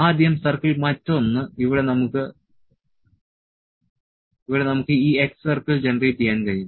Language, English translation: Malayalam, First circle another we can this x circle is generated here